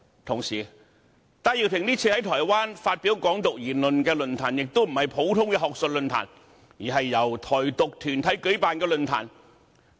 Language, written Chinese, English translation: Cantonese, 同時，戴耀廷這次在台灣發表"港獨"言論的論壇，並非一般學術論壇，而是由台獨團體舉辦的論壇。, At the same time the forum in Taiwan in which Benny TAI made the Hong Kong independence remark was not a usual academic forum but one organized by Taiwan independence groups